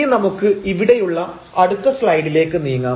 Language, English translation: Malayalam, So, let us move to the next slide here